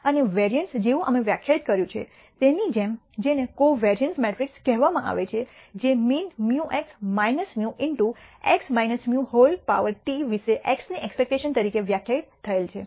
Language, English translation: Gujarati, And similar to the variance we de ned what is called the covariance matrix which is de ned as expectation of x about the mean mu or x minus mu into x minus mu transpose